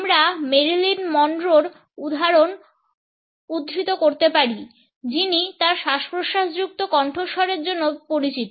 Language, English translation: Bengali, We can quote the example of Marilyn Monroe who is known for her breathy voice